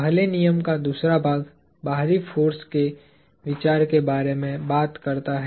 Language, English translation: Hindi, The second part of the first law talks about the idea of an external force